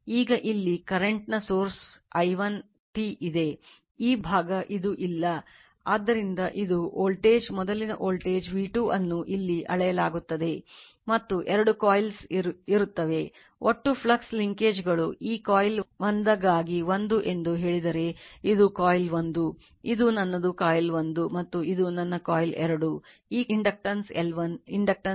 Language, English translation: Kannada, And two coils are there so, if my total flux linkage, if total flux linkages say my phi say this phi 1 for this coil 1, this is coil 1, this is my coil 1, and this is my coil 2, this inductance is L 1, inductance is L 2